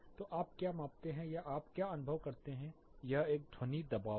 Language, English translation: Hindi, So, what you measure or what you perceive is a sound pressure